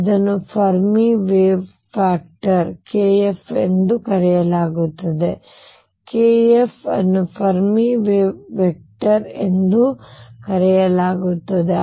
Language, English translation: Kannada, This is known as Fermi wave factor k, k f is known as Fermi wave vector